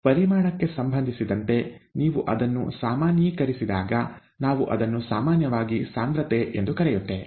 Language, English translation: Kannada, When you normalize it with respect to volume, we call it concentration usually